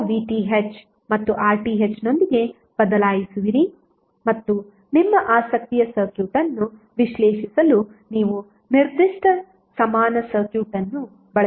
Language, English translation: Kannada, So you will replace with the VTh and RTh and you will use that particular equivalent circuit to analyze the circuit which is of your interest